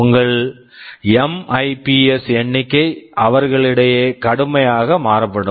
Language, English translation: Tamil, Your MIPS figure will vary drastically among them